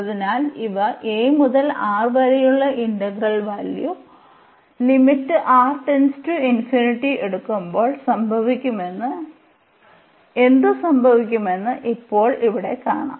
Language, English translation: Malayalam, So, in this case what we will consider, we will consider the integral a to R